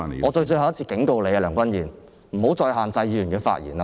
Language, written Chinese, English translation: Cantonese, 我最後一次警告你，梁君彥，不要再限制議員的發言。, I am warning you for the last time Andrew LEUNG . Stop restraining the speech of a Member